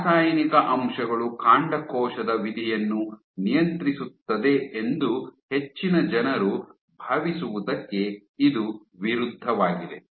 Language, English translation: Kannada, This is counter to what most people think that that chemical factors are all that that regulates stem cell fate